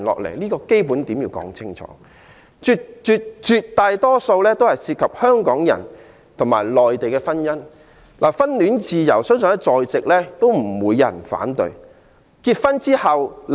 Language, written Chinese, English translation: Cantonese, 內地來港團聚人士絕大多數涉及香港與內地婚姻，相信在座不會有人反對婚戀自由。, The great majority of Mainlanders coming to Hong Kong for reunion are involved in Hong Kong - Mainland marriages . Members present here probably do not have any objection against freedom of love and marriage